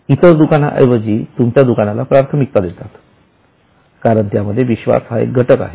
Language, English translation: Marathi, They would prefer your shop over other shops because of the trust factor, because of reliability and so on